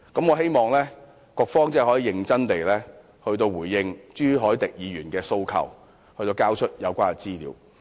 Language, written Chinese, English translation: Cantonese, 我希望局方可以認真回應朱凱廸議員的訴求，交出有關資料。, I hope the Bureau will seriously respond to Mr CHU Hoi - dicks appeal and provide the relevant information